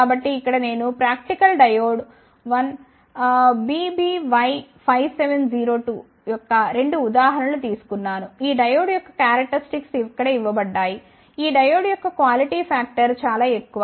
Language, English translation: Telugu, So, here I have taken the 2 examples of practical diode 1 is BBY 5 7 0 2 these specifications for this diode is given here, the quality factor of this diode is very high